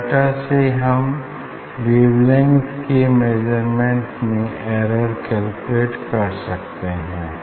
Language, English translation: Hindi, from data one can actually calculate the error in the measurement of wavelength